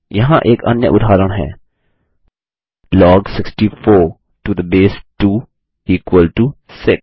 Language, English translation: Hindi, Here is another example: Log 64 to the base 2 is equal to 6